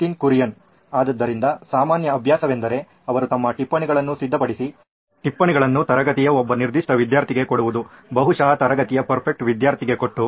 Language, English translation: Kannada, So the common practice would be that she would have her notes prepared, give the notes to one particular student in the class, probably the prefect of the class